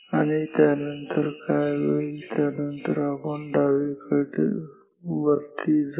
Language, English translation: Marathi, And, after that what will happen after that will go to the left and up